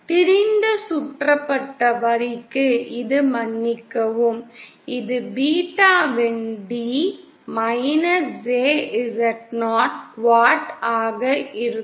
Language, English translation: Tamil, For an open circuited line this will be sorry this will be jZo quat of beta d